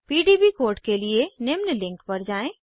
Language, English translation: Hindi, * Refer the following link for the PDB code